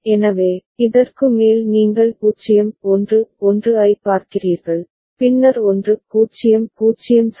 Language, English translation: Tamil, So, for example over this is the way you see 0 1 1, then 1 0 0 right